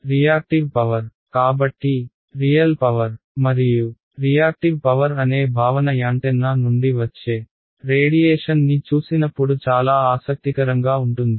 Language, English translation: Telugu, Reactive power so, this concept of real power and reactive power will be very interesting when we look at the radiation from antenna